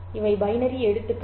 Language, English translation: Tamil, These are the binary letters